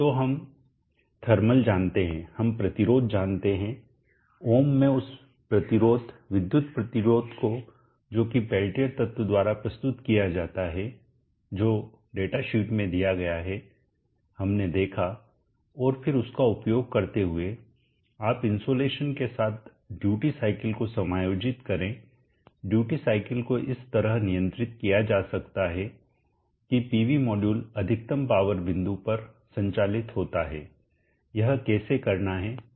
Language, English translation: Hindi, So we know the thermal, we know the resistance, the electrical resistance in ohms that is offered by the peltier element which is given in the datasheet we saw, and then using that you adjust the duty cycle accordingly along with the insulation the duty cycle can be controlled such that the PV module is operated at the maximum power point, this we know how to do